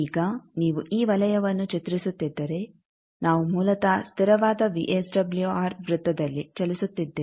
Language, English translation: Kannada, Now if you draw this circle we are basically moving on the constant VSWR circle